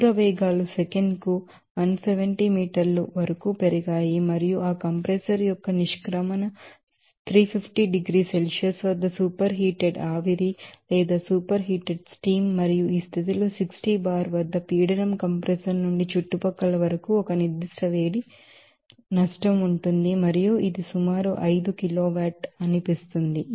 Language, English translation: Telugu, And the distance velocities suppose, increased up to 170 meters per second and the exit of that compressor is superheated steam at 350 degree Celsius and the pressure at 60 bar absolute under this condition there will be a certain heat loss from the compressor to the surrounding and it is seen that it is approximately 5 kiloWatt